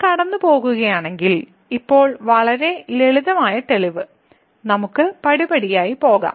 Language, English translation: Malayalam, So, if we go through; now the proof which is pretty simple so, let us go step by step